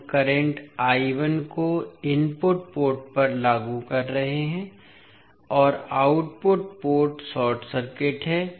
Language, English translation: Hindi, We are applying current I 1 to the input port and output port is short circuited